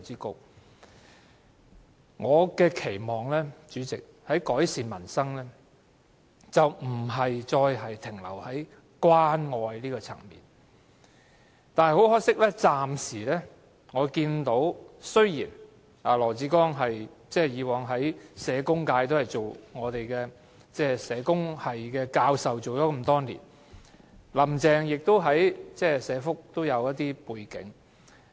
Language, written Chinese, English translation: Cantonese, 代理主席，我期望當局在改善民生上，不再停留於關愛層面，但可惜我暫時看到的仍是如此，儘管羅致光曾是社工界的人，也曾擔任社工系教授多年，而"林鄭"亦有一些社福的背景。, Deputy President in improving peoples livelihood I hope the authorities will not remain at the level of extending care . Regrettably this is what I have seen so far even though LAW Chi - kwong comes from the welfare sector and has been a professor in the social work discipline for years and that Carrie LAM has some welfare background